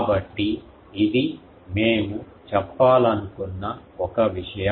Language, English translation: Telugu, So, this is one thing that we wanted to say